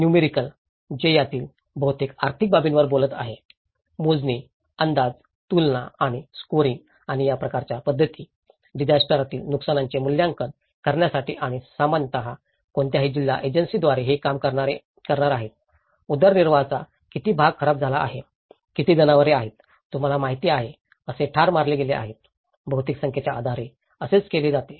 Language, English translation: Marathi, Numerical, which is talking on most of the economic aspect of it; counting, estimating, comparing and scoring and methods of this kind could be used in assessing disaster losses and quantifying which normally any of the district agency is going to do on this, how much of the livelihood stock has been damaged, how much of the animals have been killed you know, this is how mostly assessed with the numbers